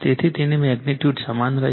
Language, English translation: Gujarati, So, magnitude it will remain same , right